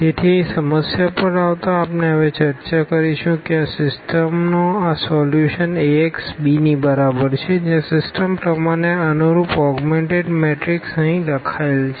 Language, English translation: Gujarati, So, coming to the problem here we will discuss now this solution of this system Ax is equal to b where the augmented matrix corresponding to the system is written as here